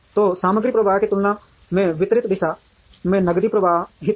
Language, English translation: Hindi, So, the cash will flow in the opposite direction compared to the material flow